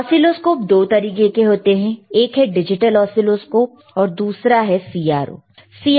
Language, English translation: Hindi, Oscilloscopes are of 2 types: one is digital oscilloscope,